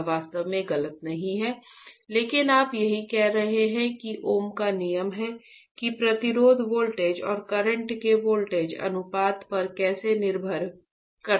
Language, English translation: Hindi, This is not right really wrong, but this is what you are saying is the ohms law at how resistance depends on voltage ratio of voltage and current